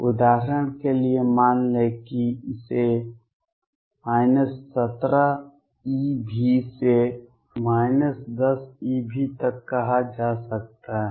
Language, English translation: Hindi, Let us say for example, it could be say from minus 17 eV to minus 10 eV